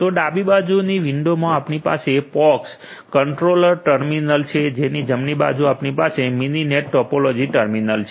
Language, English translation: Gujarati, So, in this so, in left side window we have the pox controller terminal and in the right side we have the Mininet topology terminal